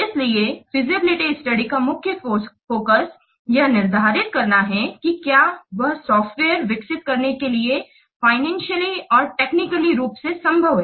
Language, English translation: Hindi, So the main focus of feasible study is to determine whether it would be financially and technically feasible to develop a software